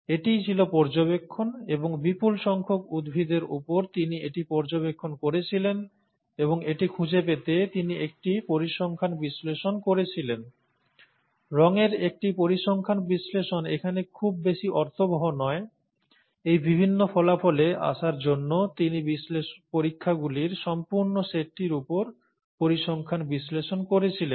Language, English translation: Bengali, This was the observation, and he had observed this over a large number of plants and he did a statistical analysis to find that, a statistical analysis of course does not mean much here; he did statistical analysis over the entire set of experiments to come up with these various findings